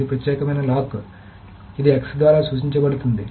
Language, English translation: Telugu, So that is why it is called a lock X